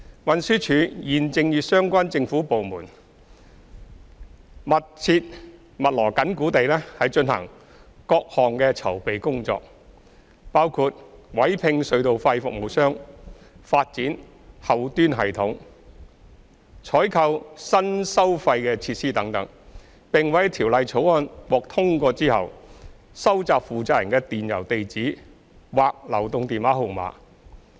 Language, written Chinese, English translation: Cantonese, 運輸署現正與相關政府部門密鑼緊鼓地進行各項籌備工作，包括委聘隧道費服務商、發展後端系統、採購新收費設施等，並會在《條例草案》獲通過後，收集負責人的電郵地址或流動電話號碼。, TD and the relevant government departments are now pressing ahead at full steam with various preparatory work including engaging toll service provider developing a backend system procuring new toll facilities etc and will collect the email addresses or mobile phone numbers of the responsible persons when the Bill is passed